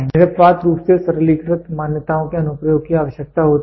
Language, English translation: Hindi, Invariably requires the application of simplified assumptions